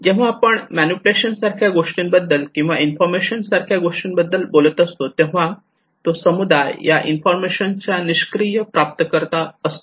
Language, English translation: Marathi, When we are talking about manipulation kind of thing or only informations kind of thing okay it leads to that community is a passive recipient of informations